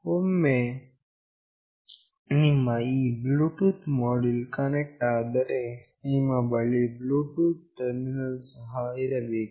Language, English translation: Kannada, Once you have this Bluetooth module connected, you also need a Bluetooth terminal